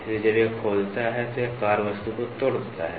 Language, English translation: Hindi, So, when it digs, it ruptures the workpiece